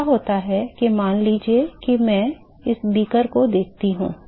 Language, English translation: Hindi, So, what happens is that in supposing I look at this is the beaker ok